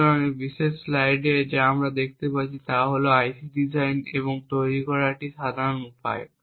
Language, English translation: Bengali, So, what we see in this particular slide is a typical way IC is designed and manufactured